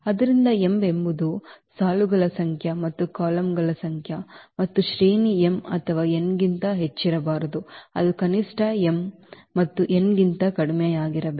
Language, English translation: Kannada, So, m is the number of rows and number of columns, and the rank cannot be greater than m or n it has to be the less than the minimum of m and n